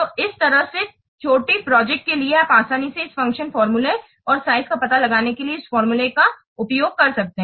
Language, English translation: Hindi, So in this way for small projects you can easily use this formula, find out the function points and size